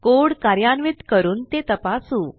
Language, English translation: Marathi, Now lets check by executing this code